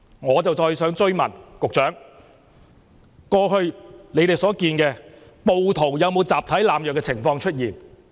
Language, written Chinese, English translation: Cantonese, 我想追問局長，過去以你們所見，暴徒有沒有出現集體濫藥的情況？, I wish to ask the Secretary whether from what you saw in the past there was collective drug abuse among the rioters